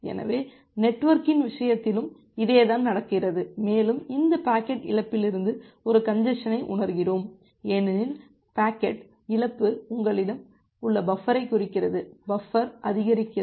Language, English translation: Tamil, So, the same things happen in case of network and we are sensing a congestion from this packet loss because packet loss gives an indication that the buffer that you have, that buffer is getting exceeded